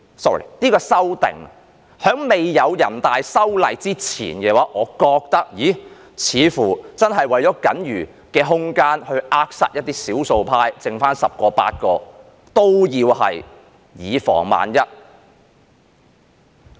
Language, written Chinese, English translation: Cantonese, 在未有人大修例之前，我認為這次修訂似乎真的為了僅餘的空間而去扼殺一些少數派，即使是餘下十個八個，都要以防萬一。, Before the legislative amendment by NPC I thought that this amendment exercise seemed to be for the purpose of stifling the limited room of survival of the minority even though only eight to ten such Members remain in the Council . But this has to be done to play safe anyway